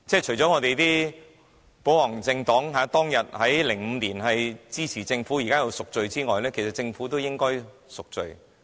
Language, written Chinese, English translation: Cantonese, 除了我們的保皇黨現在因當時在2005年支持政府而要贖罪外，政府亦應贖罪。, Not only should the pro - Government camp seek redemption now for supporting the Government back in 2005 the Government should also do the same